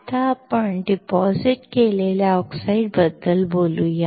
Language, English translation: Marathi, Now, let us talk about deposited oxides